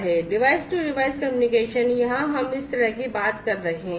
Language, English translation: Hindi, Device to device communication here we are talking about this kind of thing